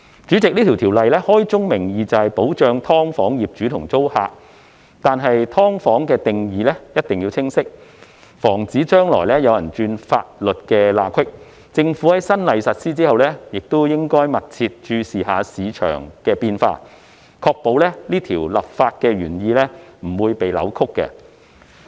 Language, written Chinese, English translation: Cantonese, 主席，這項法例開宗明義，就是保障"劏房"業主和租客，但"劏房"的定義必須清晰，以防止將來有人鑽法律空子；政府在新例實施後，亦應密切注意市場變化，確保立法原意不被扭曲。, President this legislation states first and foremost that it seeks to protect landlords and tenants of SDUs but the definition of SDUs must be clear to prevent people from exploiting legal loopholes in the future; the Government should also keep in view the market changes upon the implementation of the new law to ensure no distortion of its legislative intent